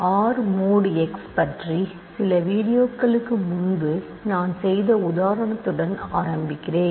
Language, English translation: Tamil, Let me start with the example that I did a few videos ago about R mod x